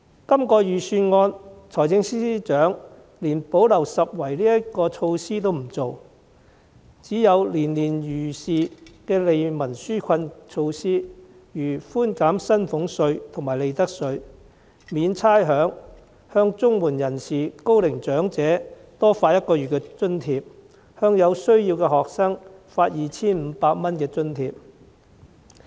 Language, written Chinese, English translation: Cantonese, 這份預算案中，財政司司長連補漏拾遺措施也沒有推出，只有年年如是的利民紓困措施，例如寬減薪俸稅和利得稅、免差餉、向綜援人士、高齡長者多發一個月津貼，向有需要的學生發放 2,500 元津貼。, In the Budget this year the Financial Secretary has introduced no gap - plugging initiative at all . There are only relief measures that are routinely introduced each year such as reducing salaries tax and profits tax waiving rates providing an extra one - month allowance to recipients of Comprehensive Social Security Assistance and Old Age Allowance and providing a grant of 2,500 to each student in need . To put it mildly all people will benefit from the series of measures introduced